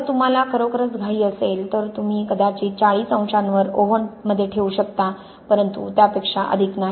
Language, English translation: Marathi, if you are really in a rush you can maybe put in an oven at 40 degrees but no more okay